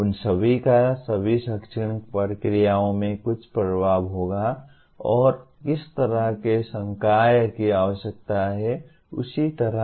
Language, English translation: Hindi, All of them will have some influence in all the academic processes and what kind of faculty are required and so on